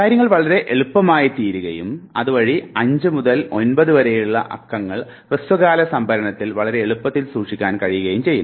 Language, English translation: Malayalam, Now, things become much easier and therefore, it has been realized that somewhere between 5 to 9 chunks can very easily be stored in short term storage